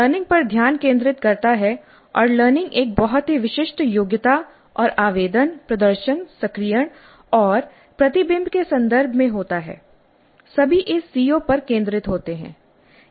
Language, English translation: Hindi, This brings focus to the learning and the learning occurs in the context of a very specific competency and the application and the demonstration and the activation and the reflection all center around this CO